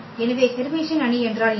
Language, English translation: Tamil, So, what is the Hermitian matrix